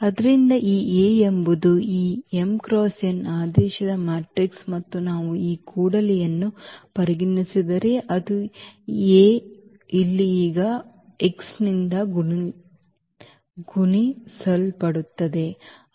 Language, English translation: Kannada, So, this A is a matrix of order this m cross n and if we consider this Ax; that means, this A will be multiplied now by this x here